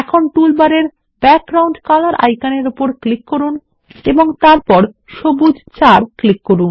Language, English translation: Bengali, Now click on the Background Color icon in the toolbar and then click on Green 4